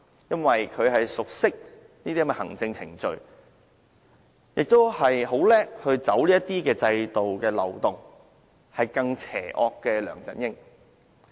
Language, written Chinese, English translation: Cantonese, 由於她熟悉這些行政程序，亦精於走制度漏洞，因此較梁振英更為邪惡。, Since she knows the administrative procedures well and is good at exploiting loopholes in the system she is even more sinister than LEUNG Chun - ying